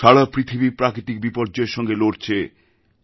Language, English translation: Bengali, The world is facing natural calamities